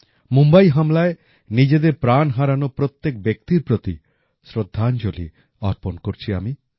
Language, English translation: Bengali, I pay homage to all of them who lost their lives in the Mumbai attack